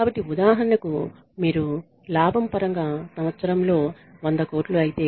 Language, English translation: Telugu, So, for example, you make say 100 crores in a year in terms of profit